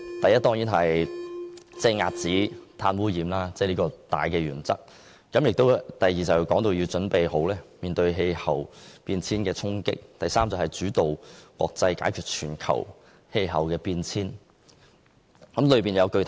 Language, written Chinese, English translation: Cantonese, 第一，遏止碳污染，這是大原則；第二，準備面對氣候變化的衝擊；第三，主導國際解決全球氣候變化。, Firstly cut carbon pollution and this was the major principle; secondly prepare for the impacts of climate change; thirdly lead international efforts to combat global climate change